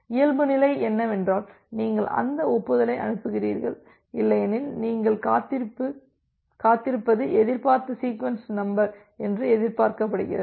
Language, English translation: Tamil, And if the default case is you transmit that acknowledgement and otherwise you just wait it is expected sequence number you initiate the system with expected sequence number 1